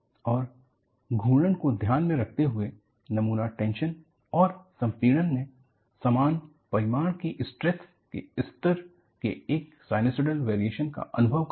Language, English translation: Hindi, And, in view of the rotation, the specimen experiences a sinusoidal variation of stress levels of equal magnitudes, in tension and compression